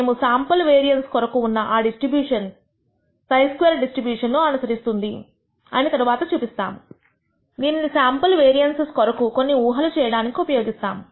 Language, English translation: Telugu, We can show later that the distribution for sample variance follows a chi square distribution and therefore, it is used to make inferences about sample variances